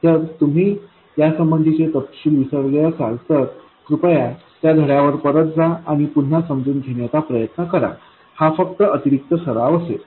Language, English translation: Marathi, If you have forgotten the details please go back to that lesson and work it out again it will just be additional practice